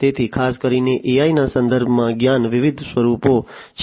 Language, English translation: Gujarati, So, there are different forms of knowledge particularly in the context of AI